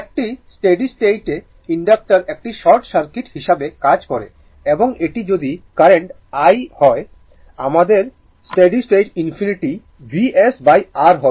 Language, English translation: Bengali, A steady state inductor acts as a short circuit and if this is the current i that means, our steady state I infinity will be V s upon R, right